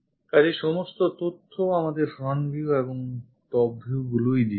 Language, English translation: Bengali, So, all the information is provided from our front views and top views